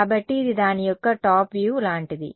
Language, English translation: Telugu, So, it is like a top view of this guy